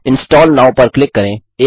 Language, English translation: Hindi, Click on the Install Now button